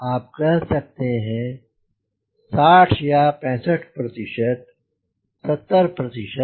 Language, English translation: Hindi, so you can this say sixty or sixty five percent, seventy percent